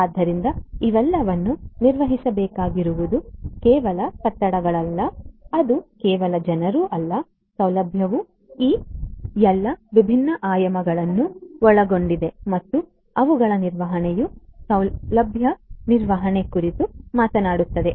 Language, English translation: Kannada, So, all of these will have to be managed it is not merely buildings; it is not merely people facility includes all of these different dimensions and their management is what facility management talks about